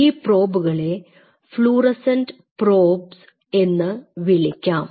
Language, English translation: Malayalam, And the kind of probe are we talking about is called fluorescent probes